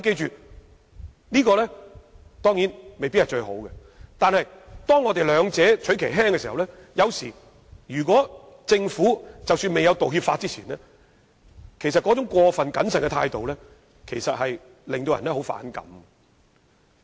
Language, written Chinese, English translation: Cantonese, 這當然未必是最好，但若要兩害取其輕，我們也不能忘記在制定道歉法之前，政府那種過分謹慎的態度，其實令人相當反感。, This of course may not be the best arrangement but we have to choose the lesser of the two evils and should never forget that the overcautious attitude of the Government before the enactment of an apology legislation is indeed quite annoying